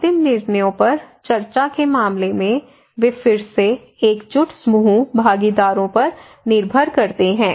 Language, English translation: Hindi, In case of discussion that is the final decisions, they depend on again cohesive group partners, okay